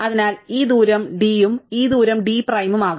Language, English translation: Malayalam, So, maybe this distance d and this distance d prime